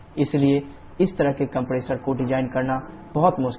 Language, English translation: Hindi, So, designing such a compressor is very difficult